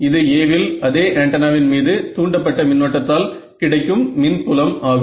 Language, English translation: Tamil, This is the field due to the induced current on the same antenna on A